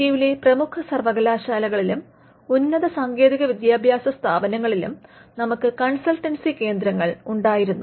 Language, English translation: Malayalam, And we had centres for consultancy in the major universities in and higher technical institutions in India